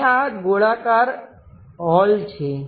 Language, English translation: Gujarati, And this is a circular hole